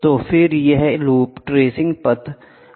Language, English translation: Hindi, So, then this loop the tracing path might change, ok